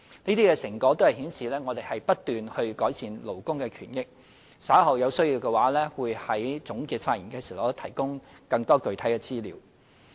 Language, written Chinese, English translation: Cantonese, 這些成果顯示，我們不斷改善勞工權益，稍後有需要的話我會在總結發言時提供更多具體資料。, These results demonstrate our continued efforts to improve labour rights and interests . I will provide more specific information in my concluding remarks later on if there is such a need